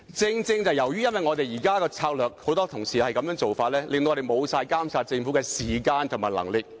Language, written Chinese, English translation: Cantonese, 然而，正正是由於現時很多同事採取"拉布"策略，令議會失去監察政府的時間和能力。, However it is exactly due to the filibustering tactic now employed by many Members that the Council has lost its time and power to monitor the Government